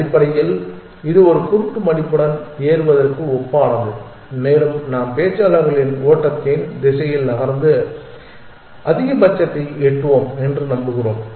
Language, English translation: Tamil, Essentially, it is analogous to climbing a hill blind folded and we just move in the direction of the speakers flow and hope to reach the maximum